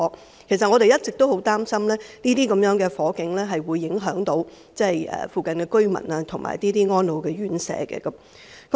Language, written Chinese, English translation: Cantonese, 事實上，我們一直十分擔心，這些火警會影響附近居民和安老院舍。, In fact we are quite concerned that such fires will affect the residents and elderly homes nearby